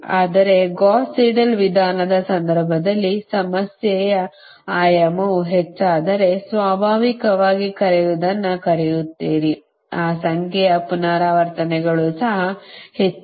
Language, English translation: Kannada, but in the case of gauss seidel method that if dimension of the problem increases, then naturally your what you call that number of beta resistance also much more